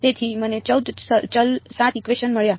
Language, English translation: Gujarati, So, I got 14 variables 7 equations